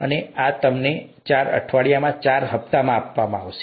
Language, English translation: Gujarati, And this would be given to you in four installments over four weeks